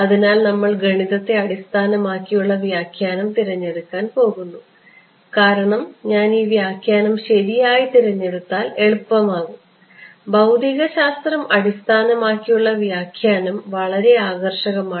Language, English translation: Malayalam, So, we are going to choose the math based interpretation because the math gets easier if I choose this interpretation right, the physic physics based interpretation is very appealing